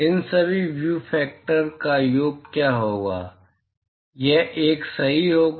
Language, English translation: Hindi, What will be the sum of all these view factors, it will be 1 right